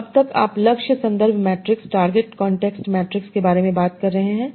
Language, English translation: Hindi, So till now we are talking about target context matrix